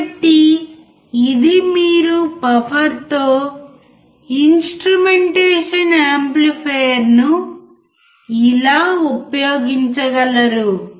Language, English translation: Telugu, So, this is how you can use the instrumentation amplifier with buffer, right